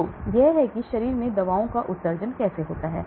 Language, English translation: Hindi, So this is how the drugs get excreted from the body